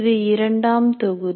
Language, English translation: Tamil, That is the module 2